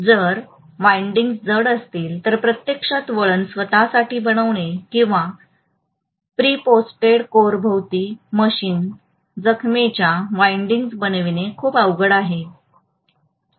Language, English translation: Marathi, If the windings are heavy it will be very difficult to actually make the winding manually or even machine wound windings around preprocessed core